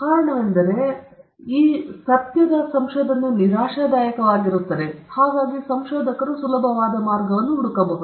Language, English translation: Kannada, The reason is that research is frustrating; hence, researchers might look out for an easy way out